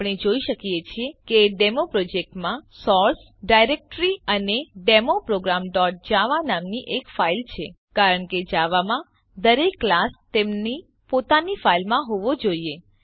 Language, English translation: Gujarati, We can see that the DemoProject has the source directory and a file called Demo program.Java, This is because every class in Java has to be in its own file